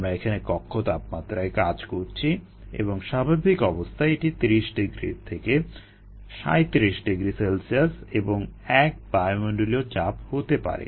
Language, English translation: Bengali, we are operating at room temperature and, at standard conditions may be thirty degrees, thirty seven degrees c, one atmosphere pressure